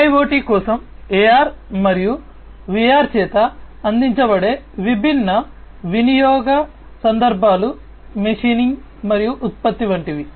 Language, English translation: Telugu, The different use cases that are served by AR and VR for IIoT are things like machining and production